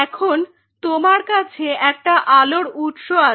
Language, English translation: Bengali, Now, and you have a source of light